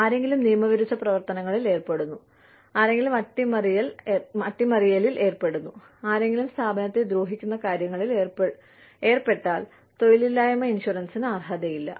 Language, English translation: Malayalam, Somebody engaging in illegal activities, somebody engaging in sabotage, somebody engaging in something, that can hurt the organization, is not entitled to unemployment insurance